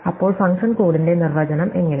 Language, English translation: Malayalam, So, how does the definition of the function go